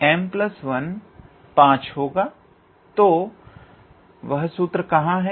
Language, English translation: Hindi, So, where is that formula